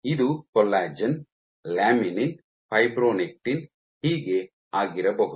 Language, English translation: Kannada, So, this might be collagen, laminin, fibronectin so on and so forth